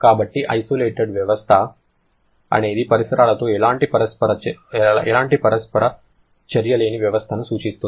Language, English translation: Telugu, So, an isolated system refers to a system which does not have any kind of interaction with the surrounding